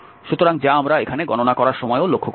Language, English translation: Bengali, So, which we will also notice here while calculating this